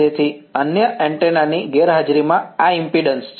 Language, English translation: Gujarati, So, these are the impedances in the absence of the other antennas